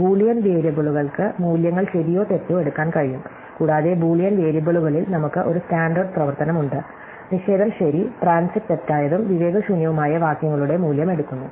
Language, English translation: Malayalam, So, Boolean variables can take values, true or false and we have a standard operations on Boolean variables, negation takes a value of true and transit false and vise verses